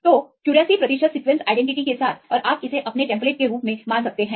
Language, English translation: Hindi, So, with 84 percent sequence identity and you can treat this as your template